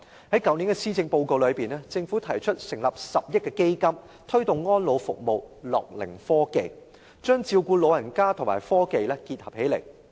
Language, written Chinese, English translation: Cantonese, 政府在去年的施政報告中提出成立一個10億元的基金，以推動安老服務和樂齡科技，將照顧老人與科技結合起來。, In the Policy Address released last year the Government proposed setting up a fund of 1 billion to promote elderly care and gerontechnology with a view to integrating technology into elderly care